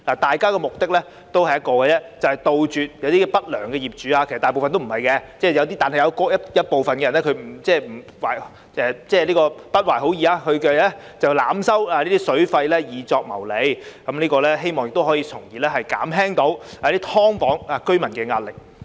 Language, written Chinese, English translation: Cantonese, 大家的目的只有一個，就是杜絕一些不良業主——其實大部分業主都不是不良業主，但有部分人不懷好意——濫收水費來謀利，希望從而可以減輕"劏房"居民的壓力。, All that we aim to achieve is to put a full stop to the profit - making practice of overcharging water fees which some unscrupulous landlords use―actually this is not the case for most landlords but just some of them who are devious―in the hope of alleviating the burden of subdivided unit residents